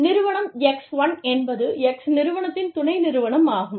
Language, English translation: Tamil, Firm X1, is a subsidiary of, Firm X